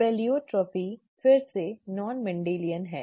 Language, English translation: Hindi, Pleiotropy is again Non Mendelian